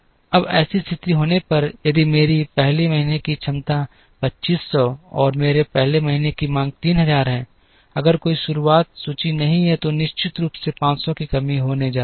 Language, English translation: Hindi, Now, in order to have a situation where, if my 1st month’s capacity is 2500 and my 1st month’s demand is 3000, if there is no beginning inventory, then there is definitely going to be a shortage of 500